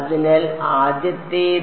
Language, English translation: Malayalam, So, the first is